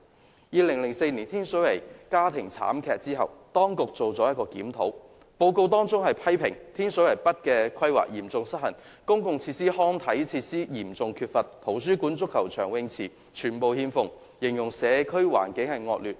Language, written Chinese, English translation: Cantonese, 在2004年天水圍發生家庭慘劇後，當局曾進行一項檢討，有關的報告批評天水圍北的規劃嚴重失衡，公共設施及康體設施嚴重缺乏，圖書館、足球場及泳池全部欠奉，形容社區環境惡劣。, After the occurrence of a family tragedy in Tin Shui Wai in 2004 a review had been conducted and the relevant report criticized the serious imbalance in the planning of Tin Shui Wai North where public facilities as well as recreational and sports facilities were in acute shortage . There is no library football pitch or swimming pool and the environment of the community is described as poor